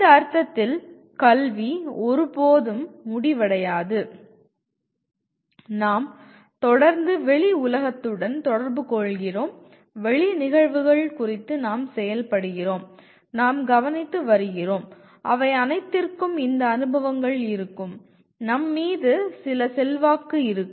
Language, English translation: Tamil, And education in this sense never ends, we are continuously interacting with outside world, we are acting on events outside and we are observing and all of them will have these experiences, will have some influence on us